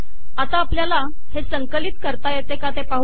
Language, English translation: Marathi, So lets see whether we can compile this